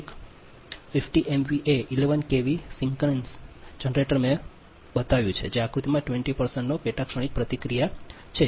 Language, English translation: Gujarati, say: fifty m v a eleven k v synchronous generator i showed the diagram has a sub transient reactance of twenty percent